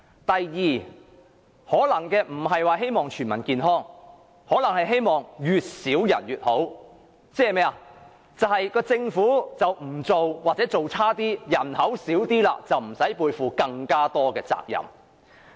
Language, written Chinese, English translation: Cantonese, 第二，他們可能並非希望全民健康，而是希望越少人便越好，即是政府不作為或做得差一點，人口便會減少，那便不用背負更多責任。, Secondly they may not wish to achieve better health for all but are of the view that things would be better with a declining population . In other words an omission or the underperformance of the Government will result in a decline in the population and there will then be no need for the Government to shoulder more responsibilities